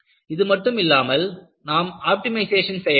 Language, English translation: Tamil, You also have requirement for optimization